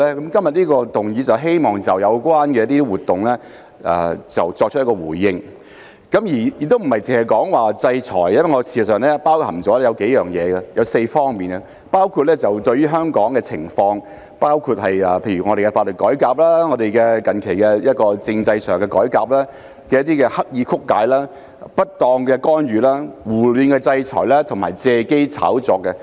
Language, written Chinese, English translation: Cantonese, 今天這項議案是希望就有關的活動作出回應，亦並非單說制裁，而是包含4方面，包括就本港社會狀況、法律改革及近期政制改革的刻意曲解、不當干預、胡亂制裁及借機炒作。, This motion today seeks to respond to the relevant activities . It is not just about sanctions but rather covers four aspects namely the deliberate distortion improper interference indiscriminate sanctions and exploitation of opportunities to stir up hype in respect of Hong Kongs social conditions legal reform and recent constitutional reform